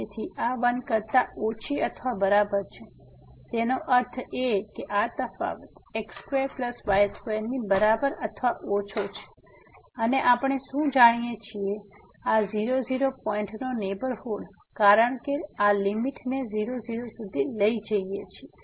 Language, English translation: Gujarati, So, this is less than equal to 1; that means, this difference is less than equal to x square plus y square and what we know, the neighborhood of this point because taking this limit to